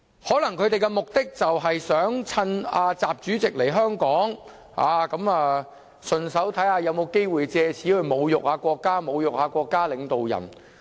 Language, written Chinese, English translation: Cantonese, 他們的目的可能是想趁習主席來香港，順便看看有否機會藉此侮辱國家和國家領導人。, They probably wanted to see if they could make this an opportunity to insult our country and state leaders during President XIs visit to Hong Kong